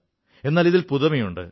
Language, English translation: Malayalam, What is new in that